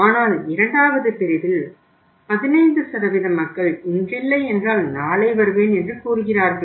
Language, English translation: Tamil, But in the second category that is 15% of the people say not today I will come tomorrow